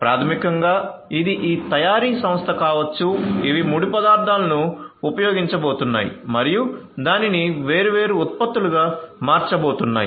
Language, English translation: Telugu, So, basically this could be this manufacturing firm which are going to use the raw materials and are going to transform that into different products